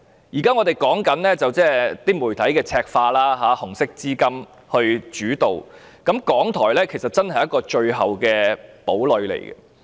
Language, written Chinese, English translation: Cantonese, 現時，我們關注媒體赤化及"紅色資金"主導的情況，而港台是最後一個堡壘。, At present we are concerned about the media being turned red and dictated by Red Capital and RTHK is the last fortress